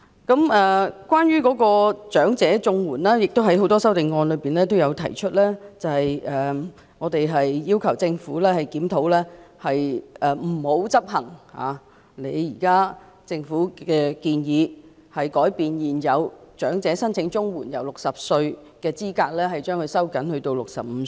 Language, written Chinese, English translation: Cantonese, 有關長者綜援，正如很多修正案也提出，我們要求政府不要執行現時的建議，將現時申請長者綜援的合資格年齡由60歲收緊至65歲。, Concerning elderly CSSA as also suggested in many amendments we call on the Government to not implement the current proposal of tightening the eligibility age for elderly CSSA from 60 to 65